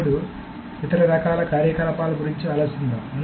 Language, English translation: Telugu, Then let us think of some other kind of operations